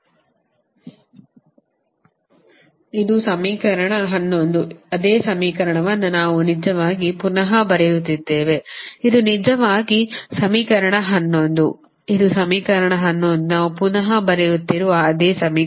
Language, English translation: Kannada, this is your equation eleven, the same equation we are actually re writing